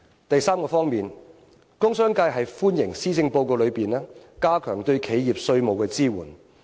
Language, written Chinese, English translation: Cantonese, 第三方面，工商界歡迎施政報告加強對企業的稅務支援。, Third the commerce and industry sector welcomes the measures to strengthen tax support for enterprises proposed in the Policy Address